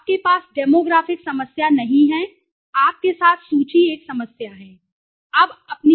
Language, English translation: Hindi, So, you do not have the demographic data the list with you 1st problem